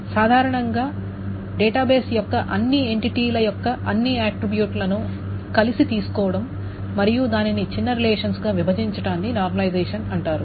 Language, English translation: Telugu, , the process of actually designing what the schemas are, and in general taking all the attributes of all the entities of the database together and breaking it up into smaller relations is called normalization